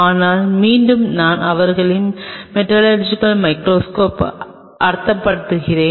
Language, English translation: Tamil, But again, I am just meaning their metallurgical microscope